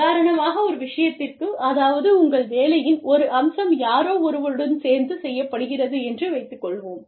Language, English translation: Tamil, For example, for one thing, say, one aspect of your work, is done together, with somebody